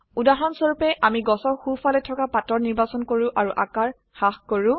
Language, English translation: Assamese, For example let us select the leaves on the right side of the tree and reduce the size